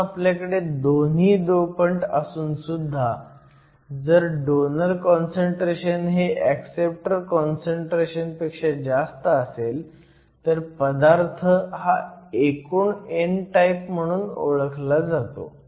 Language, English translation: Marathi, So, we have both donors and acceptors, but if the concentration of donors is more than acceptors material is set to be over all n type material